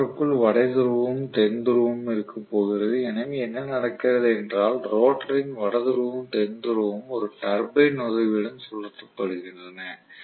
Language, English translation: Tamil, The rotor is going to have a north pole and south pole, so what happens is the north pole and south pole of the rotor is being rotated with the help of a turbine